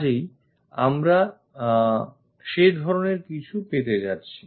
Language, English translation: Bengali, So, we are supposed to have such kind of thing